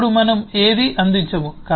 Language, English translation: Telugu, now we do not provide any